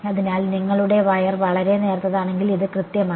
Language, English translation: Malayalam, So, as long as your wire is very thin, this is exact